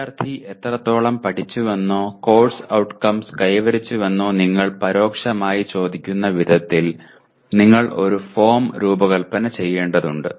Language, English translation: Malayalam, That means you have to design a form in such a way that you indirectly ask the student to what extent he has learnt or he has attained the course outcomes